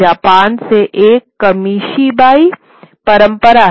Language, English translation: Hindi, You have this Kamishibai tradition from Japan